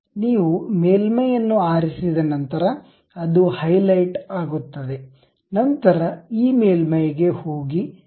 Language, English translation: Kannada, Once you select the surface it will be highlighted, then go to this surface, click